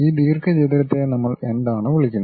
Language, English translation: Malayalam, This rectangle what we call